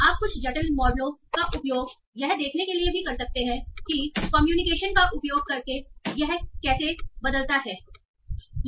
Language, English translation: Hindi, And you can use some complicated models also to see how it changes by using of neg communications and so on